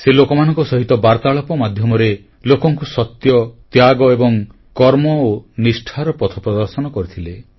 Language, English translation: Odia, He entered into a dialogue with people and showed them the path of truth, sacrifice & dedication